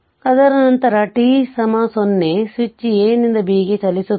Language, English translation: Kannada, After that at t is equal to 0, switch will move from A to B